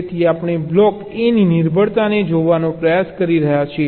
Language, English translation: Gujarati, so we are trying to look at the dependency of the block a